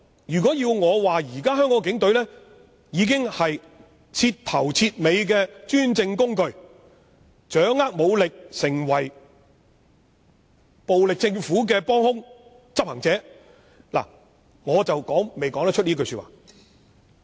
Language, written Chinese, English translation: Cantonese, 如果要我說，現時香港警察是徹頭徹尾的專政工具，他們掌握武力並成為暴力政府的幫兇或執行者，我未能這樣說。, If you want me to say that the Hong Kong Police Force are out - and - out tools of the autocratic government having the power to use force and being the accomplices or executors of the violent government I am afraid I cannot say so